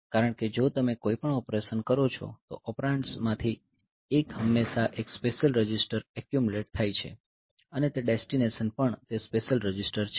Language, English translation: Gujarati, Because if you do any operation one of the operand is the one of the operand is always that that special register accumulated and that destination is also that special register accumulated